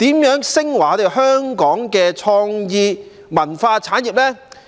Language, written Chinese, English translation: Cantonese, 如何能令香港的創意文化產業昇華？, How can we bring advancement to Hong Kongs creative and cultural industries?